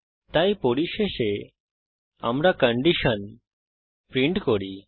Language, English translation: Bengali, So finally, we print the condition